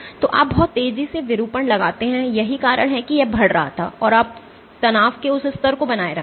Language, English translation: Hindi, So, you impose a deformation very fast that is why it was increasing and then you maintain that level of strain